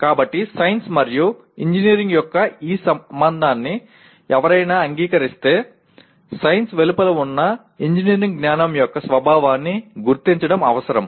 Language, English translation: Telugu, So if one accepts this relationship of science and engineering it becomes necessary to identify the nature of knowledge of engineering which is outside science